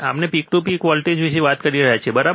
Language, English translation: Gujarati, We are talking about peak to peak voltage, right